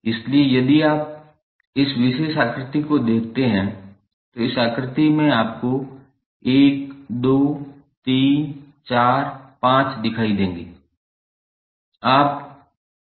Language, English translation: Hindi, So, if you see this particular figure, in this figure you will see 1, 2, 3, 4, 5 are the total nodes